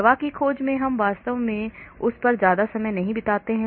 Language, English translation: Hindi, In drug discovery we do not spend much time on that actually